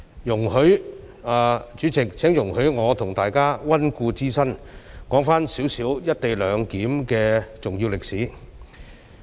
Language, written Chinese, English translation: Cantonese, 主席，請容許我和大家溫故知新，說一些"一地兩檢"的重要歷史。, President please allow me to do some revision with Members by going through the important history about co - location arrangement